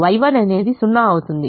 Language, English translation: Telugu, y one will be zero